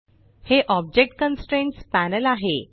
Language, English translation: Marathi, This is the Object Constraints Panel